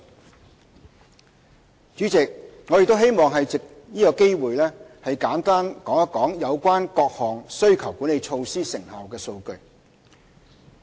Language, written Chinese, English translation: Cantonese, 代理主席，我亦希望藉此機會，簡述有關各項需求管理措施成效的數據。, Deputy President I also hope to take this opportunity to give a brief account of the data on the effectiveness of various demand - side management measures